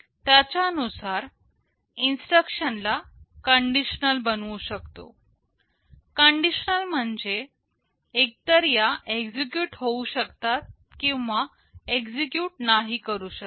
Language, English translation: Marathi, This says that the instructions can be made conditional; conditional means they may either execute or they may not execute